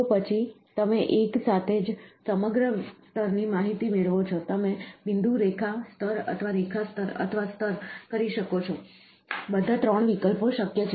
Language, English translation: Gujarati, So, then what you get is the entire layer information in one shot, you can do point, line, layer or do line layer or do layer, all the 3 options are possible